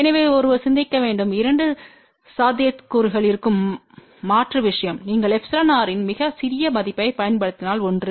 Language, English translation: Tamil, So, one should think about the alternate thing the two possibilities are there , one is if you use a very small value of epsilon r